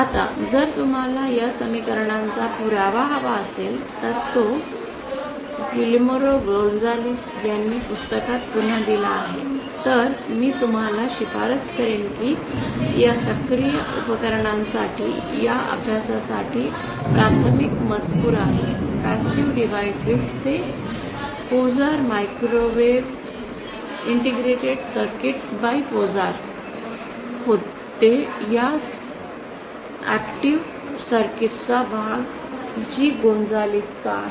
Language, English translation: Marathi, Now if you want a proof of these equations it is given again in the book by Guillermo Gonzales, I would recommend you refer to that book that is the primary text for this course for these active devices the passive devices it was Microwave Integrated Circuits by Pozar this part the active circuits part is the one by G Gonzalez